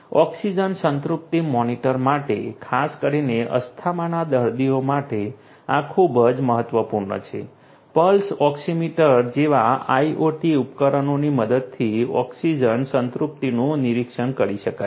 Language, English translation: Gujarati, For oxygen saturation monitoring, particularly for asthma patients this is very important, oxygen saturation can be monitored with the help of IoT devices such as Pulse Oxiometry